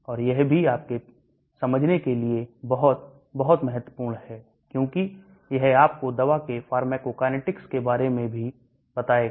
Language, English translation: Hindi, And this is also very, very important for you to understand, because that will also tell you about the pharmacokinetics of the drug